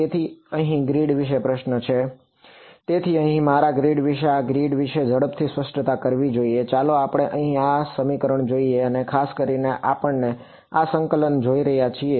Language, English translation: Gujarati, So, quick clarification about this grid over here what I my do so, let us look at this equation over here and in particular we are looking at this integral